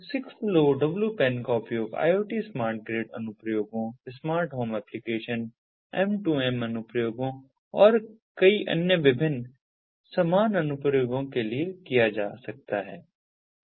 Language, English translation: Hindi, six lowpan can be used for iot smart grid applications, smart home applications, m to m applications and many other different similar applications